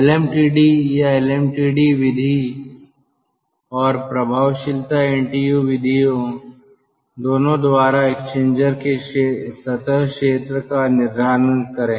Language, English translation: Hindi, determine the surface area of the exchanger by both lm, td or mtd method and effectiveness: ntu methods